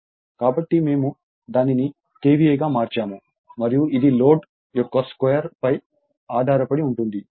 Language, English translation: Telugu, So, we converted it to your KVA and it is dependent on the square of the load